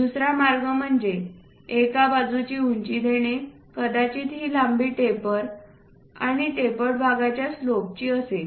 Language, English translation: Marathi, The other way is let us look at this one, giving the height of one side perhaps this one length of taper and slope of the tapered face